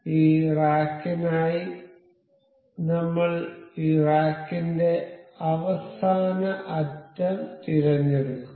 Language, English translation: Malayalam, So, for this rack I will just select the last edge of this rack